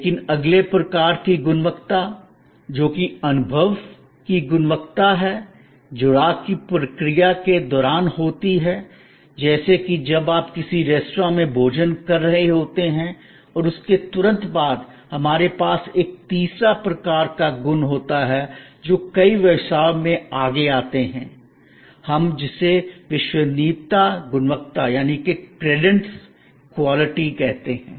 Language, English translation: Hindi, But, the next type of quality, which is experience quality happens during the process of engagement, like when you are having a meal at a restaurant and after, immediately after and more and more we have a third type of quality coming forward in many business engagements and that is, but we call credence quality